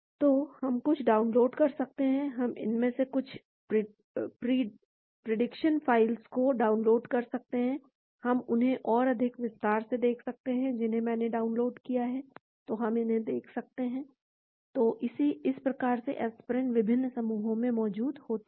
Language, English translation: Hindi, So, we can download some; we can download some of these prediction files, we can look at them in more detail, which I have downloaded , so we can look at the; , so this is how the aspirin is in various clusters